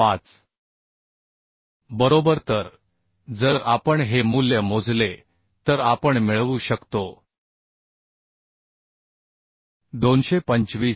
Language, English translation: Marathi, 5 right So if we calculate this value we can get 225